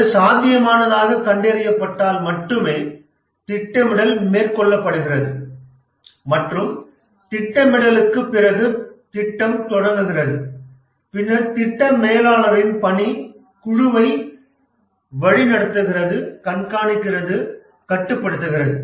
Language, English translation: Tamil, And only when it is found feasible, the planning is undertaken and after the planning the project starts off and then the work of the project manager is directing the team and then education monitoring and control